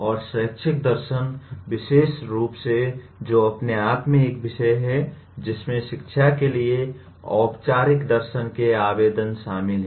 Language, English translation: Hindi, And educational philosophy particularly which is a subject by itself involves with the application of formal philosophy to education